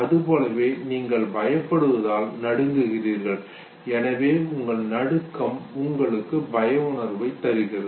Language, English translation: Tamil, So because you are scared you tremble, therefore now your trembling behavior gives you a feel of fear, okay